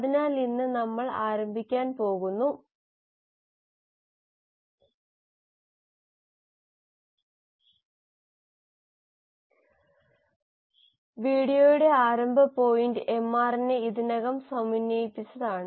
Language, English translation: Malayalam, So today we are going to start, starting point of the video is going to be that the mRNA has been already synthesised